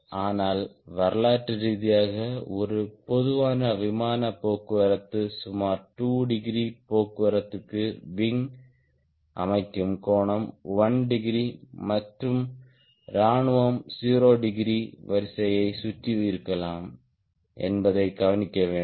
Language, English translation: Tamil, but historically it is to be noticed that around for general aviation, around two degrees, wing setting angle for transport maybe around order of one degree and military maybe zero degree